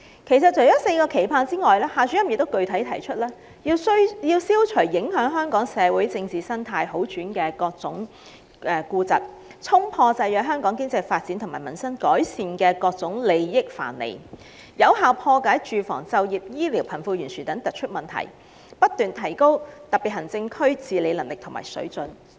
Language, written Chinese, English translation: Cantonese, 其實，除"四個期盼"外，夏主任亦具體地指出，管治者要"消除影響香港社會政治生態好轉的各種痼疾，衝破制約香港經濟發展和民生改善的各種利益藩籬，有效破解住房、就業、醫療、貧富懸殊等突出問題，不斷提高特別行政區治理能力和水準"。, In fact Mr XIA has specifically pointed out that in addition to the four expectations the administrators should eliminate the various chronic illnesses that get in the way of the recovery of Hong Kongs socio - political ecology break through various interest barriers restricting Hong Kongs economic development and the improvement of peoples livelihoods effectively crack the prominent problems in Hong Kong such as those related to housing employment healthcare and wealth gap and continuously improve the competence and standard of governance of the Special Administrative Region SAR